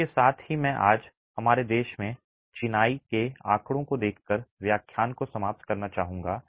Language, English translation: Hindi, With that I would like to conclude today's lecture looking at masonry statistics in our country